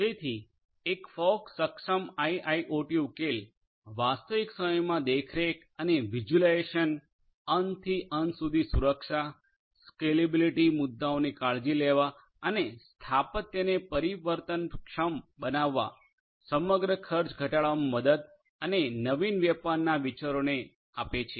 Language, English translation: Gujarati, So, a fog enabled IIoT solution can help in, number one real time monitoring and visualization, offering end to end security, scalable taking care of scalability issues and making the architecture flexible overall, reducing the overall cost and novel trading ideas